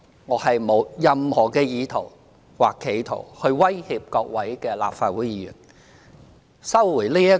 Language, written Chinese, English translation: Cantonese, 我沒有任何意圖或企圖威脅各位立法會議員。, I have utterly no intention or wish to threaten Members of this Council